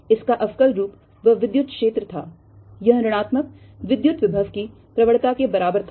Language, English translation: Hindi, its differential form was that electric field, it was equal to minus the gradient of electric potential